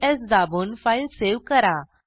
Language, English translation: Marathi, Then, Press Ctrl S to save the file